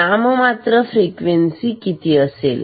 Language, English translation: Marathi, So, nominal frequency is 0